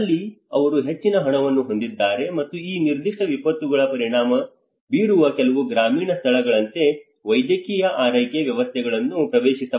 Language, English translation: Kannada, Here they have more funds and also the medical care systems are accessible like in some of the rural places where these particular disasters to gets affected